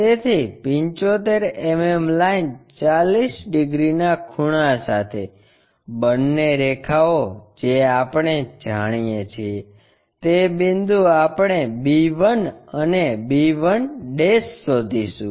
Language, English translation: Gujarati, So, from a draw 75 mm with an angle of 40 degrees both the lines we know so, point we will locate b 1 and b 1'